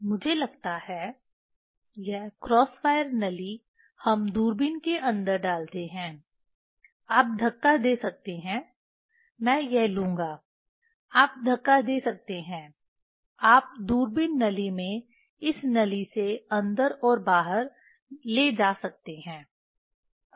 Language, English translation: Hindi, This, I think, this cross wire tube, we put inside the telescope, you can push, I will take this, you can push, you can take in and out of this tube in the telescope tube